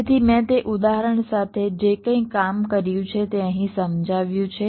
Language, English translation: Gujarati, so whatever i have just worked out with that example is explained here